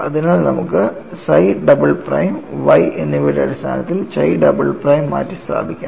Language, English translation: Malayalam, Now, let us define capital Y as z psi double prime plus chi double prime